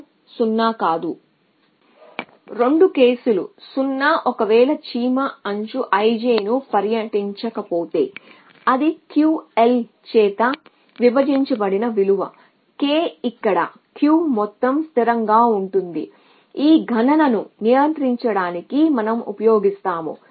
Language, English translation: Telugu, So that 2 cases a 0 if ant does not tours edge i j otherwise it is a value it is denoted by q divided by l k were q is sum constant that we use control this own computation